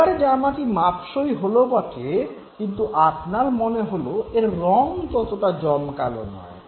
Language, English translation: Bengali, The shirt fits now but then you realize that fine the color is not that attractive